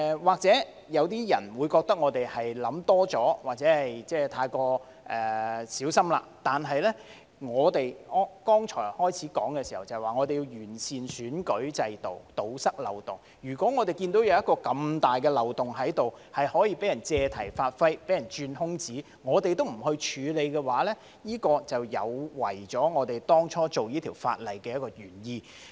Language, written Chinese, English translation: Cantonese, 或許有些人會認為我們想多了或太過小心，但正如我剛才在開始的時候說，我們要完善選舉制度，堵塞漏洞，當我們看到如此大的漏洞，可以被人借題發揮和鑽空子，如果我們都不處理，這便有違我們當初訂立這項法案的原意。, Perhaps some people may consider that we are over - worried or too cautious . Yet as I said in the beginning we seek to improve the electoral system to plug the loopholes . So when we see this major loophole which may be exploited and taken advantage of but do nothing about it it will defeat the original purpose of enacting the Bill